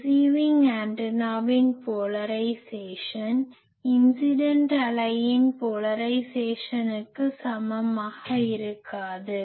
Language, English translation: Tamil, The polarisation of the receiving antenna may not be the same as the polarisation of the incident wave